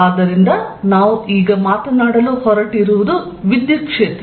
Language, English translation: Kannada, So, what we are going to now talk about is the electric field